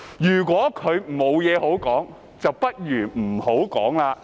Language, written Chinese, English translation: Cantonese, 如果他沒有甚麼可以說，不如不要說。, If he cannot find anything to say he had better not say anything